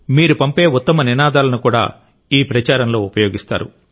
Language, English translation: Telugu, Good slogans from you too will be used in this campaign